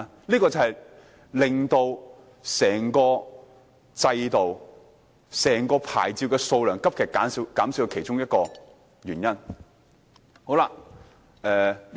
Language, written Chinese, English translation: Cantonese, 這就是令到整個制度收縮、牌照數量急劇減少的其中一個原因。, This is one reason for the shrinkage of the entire system and the drastic reduction in the number of permits